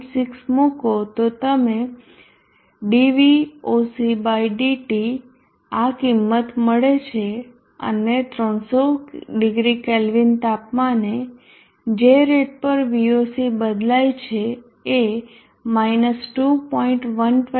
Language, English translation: Gujarati, 6 you will land up with T voc / dT as this value and for a temperature of 300 0 K the rate at which Voc changes it – 2